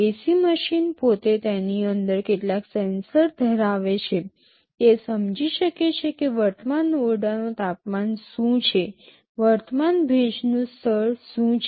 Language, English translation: Gujarati, The ac machine itself can have some sensors inside it, can sense what is the current room temperature, what is the current humidity level